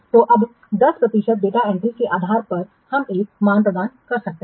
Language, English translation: Hindi, So, based on that 10% data entry, we can assign a value